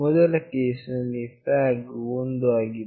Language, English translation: Kannada, In the first case the flag is 1